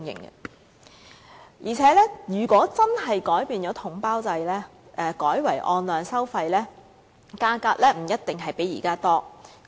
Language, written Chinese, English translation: Cantonese, 況且，如果真的改變統包制，改為按量收費，價格不一定比現時便宜。, Furthermore if the package deal system is really changed into payment on actual supply quantity the price may not necessarily be cheaper than that of the present